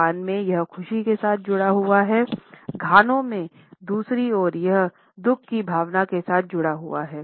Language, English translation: Hindi, In Japan it is associated with happiness; in Ghana on the other hand it is associated with a sense of sorrow